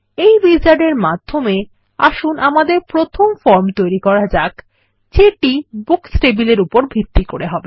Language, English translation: Bengali, Lets go through this Wizard to create our first form based on the Books table